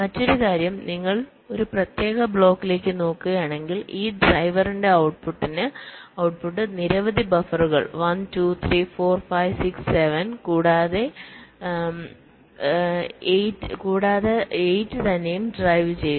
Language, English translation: Malayalam, and the other thing is that if you look at a particular block, let say this driver, the output of this driver is driving so many buffers, one, two, three, four, five, six, seven and also itself eight